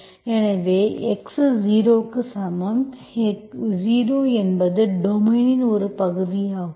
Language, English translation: Tamil, So, x equal to 0, 0 is part of the domain, I choose my x0, y0 as 0, 0